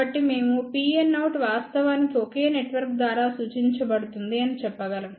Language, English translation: Telugu, So, we can say P n out will be actually represented by one single network